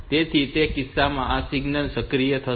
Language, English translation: Gujarati, So, in those cases this signal will be activated